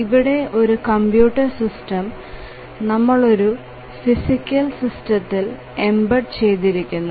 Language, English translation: Malayalam, So, the computer system is embedded within the physical system